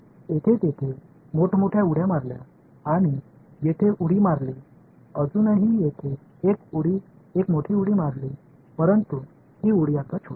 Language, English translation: Marathi, Here there were big jumps over here now the jumps are there is still one big jump over here, but these jumps are now smaller